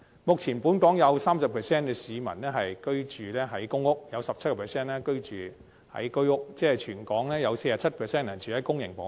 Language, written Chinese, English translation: Cantonese, 目前，本港有 30% 市民居住在公屋 ，17% 居住在居屋，即全港共有 47% 人居住在公營房屋。, At present 30 % of local residents live in public rental housing PRH units and 17 % in Home Ownership Scheme HOS flats . In other words 47 % of Hong Kong residents are living in public housing